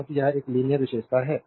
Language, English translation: Hindi, Because it is a linear characteristic